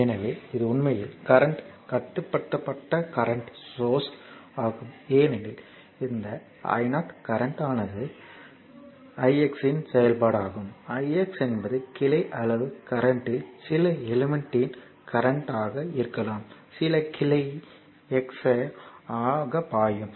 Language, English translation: Tamil, So, this is actually current controlled current source because this i 0 the current is function of the current i x, i x may be the current of some element your in the your branch size current i x flowing some branch x a